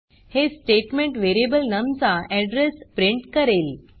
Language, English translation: Marathi, This statement will print the address of the variable num